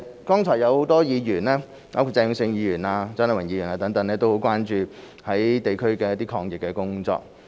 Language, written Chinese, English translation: Cantonese, 剛才有很多議員，包括鄭泳舜議員及蔣麗芸議員等，均很關注地區抗疫工作。, Many Members including Mr Vincent CHENG and Dr CHIANG Lai - wan have just been very concerned about anti - epidemic efforts in the districts